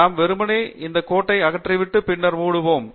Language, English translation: Tamil, We simply remove that line and then Close